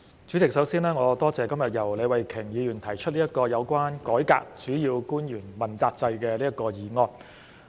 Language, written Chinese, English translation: Cantonese, 主席，首先，我感謝李慧琼議員今天提出這項"改革主要官員問責制"議案。, President first of all I thank Ms Starry LEE for proposing today the motion on Reforming the accountability system for principal officials